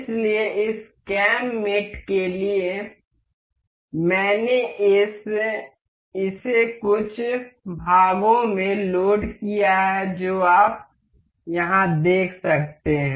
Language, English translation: Hindi, So, for this cam mate I have loaded one this some parts you can see here